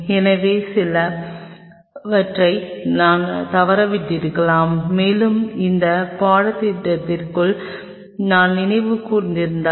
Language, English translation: Tamil, So, these are some of I may have missed out something and if I have recollected during the of this course